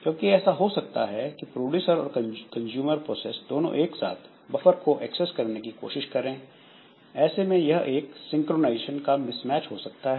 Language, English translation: Hindi, Because it may so happen that the producer and consumer they are trying to access this buffer space simultaneously as a result there is some synchronization mismatch